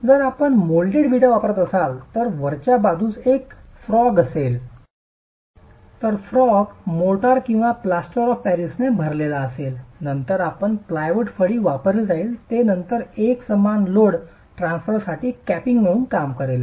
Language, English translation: Marathi, If you have if you are using moulded bricks the brick at the top will have a frog the frog is filled with mortar or plaster of Paris and then you use a plywood plank that is then serving as the capping for uniform load transfer